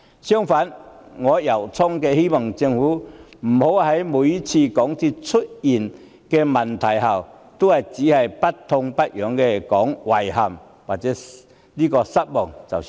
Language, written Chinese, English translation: Cantonese, 相反，我衷心希望港鐵公司每次出問題後，政府不要只是不痛不癢地說"遺憾"或"失望"。, I sincerely hope the Government will not merely call it regretful or disappointing every time a problem arises with MTRCL